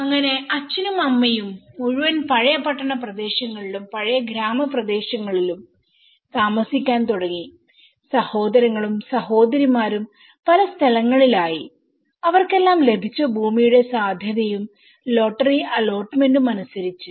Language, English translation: Malayalam, So father and mother started living in the whole city old town areas and old village areas and the brothers and sisters they all scattered in whatever the land feasibility and the lottery allotments they got